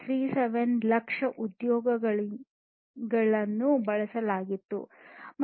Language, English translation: Kannada, 37 lakhs employees being used